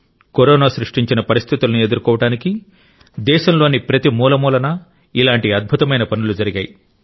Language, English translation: Telugu, Such amazing efforts have taken place in every corner of the country to counter whatever circumstances Corona created